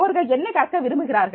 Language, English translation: Tamil, What they want to learn